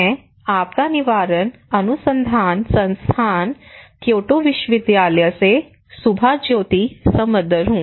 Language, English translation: Hindi, I am Subhajyoti Samaddar from Disaster Prevention Research Institute, Kyoto University